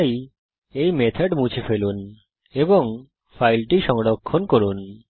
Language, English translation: Bengali, So remove this method and Save the file